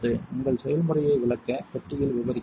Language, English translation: Tamil, You may describe your recipe in the description box